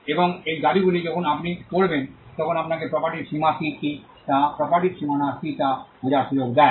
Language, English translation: Bengali, And these claims when you read will give you an understanding of what are the boundaries of the property what are the limits of the property